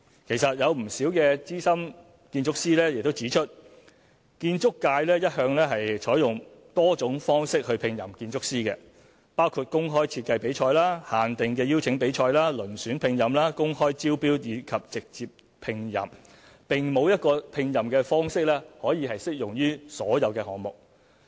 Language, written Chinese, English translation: Cantonese, 其實有不少資深建築師已指出，建築界一向採用多種方式聘任建築師，包括公開設計比賽、限定的邀請比賽、遴選聘任、公開招標及直接聘任，並沒有一個聘任方式可適用於所有項目。, In fact some senior architects have pointed out that according to industry practice there are various ways to engage an architect including open or invited competition restricted tender open tender and direct appointment and there is no one size fits all approach